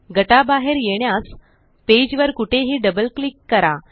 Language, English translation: Marathi, To exit the group, double click anywhere on the page